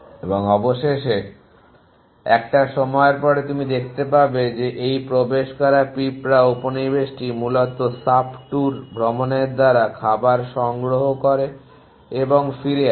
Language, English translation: Bengali, And eventually after period of time you will find that this entered ant colony is sub tour travelling food and back essentially